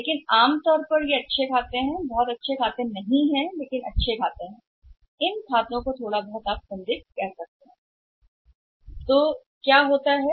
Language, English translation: Hindi, But normally they are good accounts not best accounts but good accounts and they are doubtful accounts you can say little bit doubt is attached to this